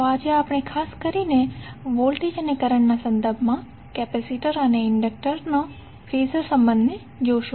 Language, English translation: Gujarati, So today we will see particularly the capacitor and inductor Phasor relationship with respect to voltage and current